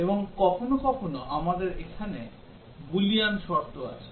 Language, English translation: Bengali, And also sometimes, we have too many Boolean conditions here